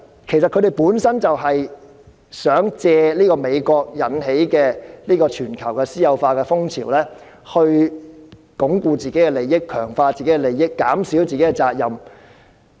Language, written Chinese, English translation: Cantonese, 其實，他們就是想借美國引起的全球私有化風潮，鞏固自己的利益、強化自己的利益，減少自己的責任。, In fact they wished to take advantage of the worldwide privatization spree sparked by the United States to consolidate and reinforce their interests and minimize their responsibilities